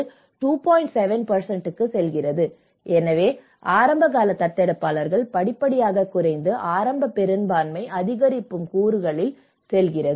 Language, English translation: Tamil, 7, so the early adopters so it gradually reduces and whereas, the early majority it goes on an increasing component